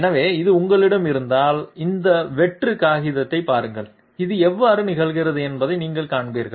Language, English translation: Tamil, So if you have this, have a look at this plain paper, you will find how this is occurring